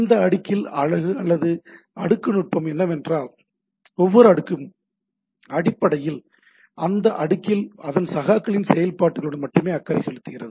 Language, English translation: Tamil, The beauty of this layer or the layering technique is that every layer basically concerned with the functionality of its peer at that layer only, right